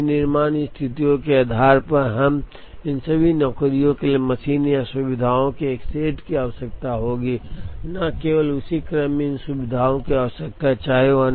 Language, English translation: Hindi, So, depending on the manufacturing situations, we would have all these jobs requiring a set of machines or facilities not only that, they require these facilities in the same order